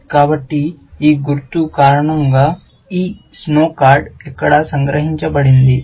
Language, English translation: Telugu, So, this snow card is captured here, because of this symbol